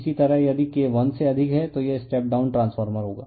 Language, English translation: Hindi, So, that is K greater than for step down transformer